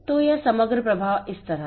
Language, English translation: Hindi, So, this overall flow is like this